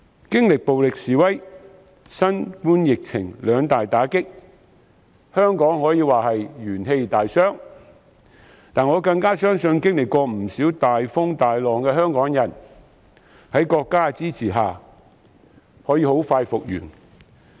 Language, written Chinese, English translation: Cantonese, 經歷暴力示威、新冠疫情兩大打擊後，香港可說是元氣大傷，但我更相信曾經歷不少大風大浪的香港人，在國家支持下可以很快復原。, After the successive blows from the violent demonstrations and the novel coronavirus epidemic Hong Kong has lost much of its vitality of Hong Kong but I firmly believe that having tided over numerous difficulties and challenges in the past Hong Kong people can soon recover with the support of our country